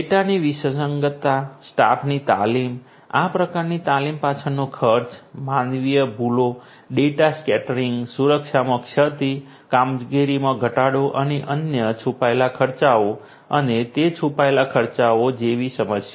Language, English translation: Gujarati, Problem such as data inconsistency, staff training, the expenses behind this kind of training, human errors, data scattering, lapse in security, slowing of operations and other hidden costs and incurring those hidden costs